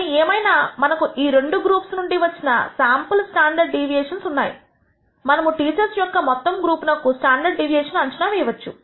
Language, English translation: Telugu, But, however, we have the sample standard deviations from these two groups from which we can estimate the standard deviation of this entire group of teachers